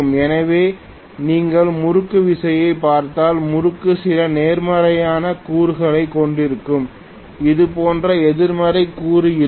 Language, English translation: Tamil, So, if you look at the torque, torque will have some positive component, negative component like this